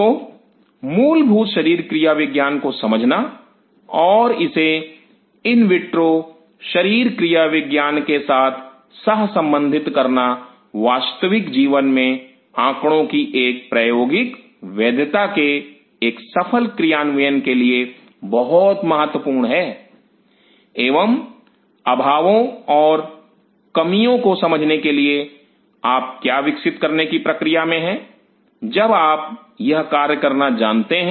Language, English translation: Hindi, So, understanding of the basic physiology and correlating it with in vitro physiology is very important for a successful execution of an experiment validity of the data in real life and understanding the short falls and short comings what you are under growing while you know performing this task